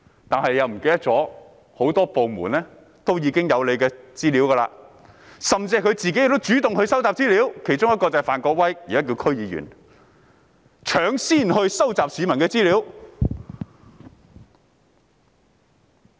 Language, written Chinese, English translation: Cantonese, 但他忘了很多部門也有市民的資料，而他們自己亦主動收集資料，其中一人是現已成為區議員的范國威，他已搶先收集市民的資料。, Yet he has forgotten that a number of departments have got information of members of the public . They have also taken the initiative to collect information . One of them is Mr Gary FAN now a DC member who beats others to the punch